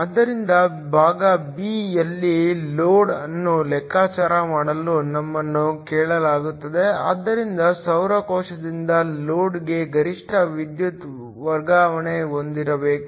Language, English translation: Kannada, So, in part b, we are asked to calculate the load, so to have a maximum power transfer from the solar cell to the load